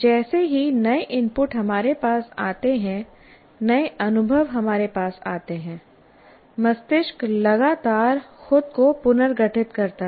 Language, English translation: Hindi, As new inputs come to us, new experiences happen to us, the brain continuously reorganizes itself